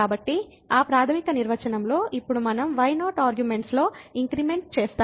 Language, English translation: Telugu, So, in that fundamental definition now we will make an increment in arguments